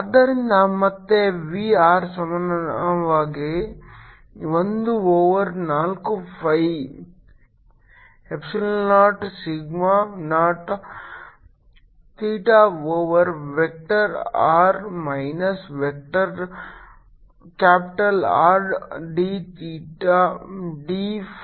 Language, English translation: Kannada, so again, we are equal to one over four pi epsilon naught sigma naught theta over vector r minus capital r, d theta, d phi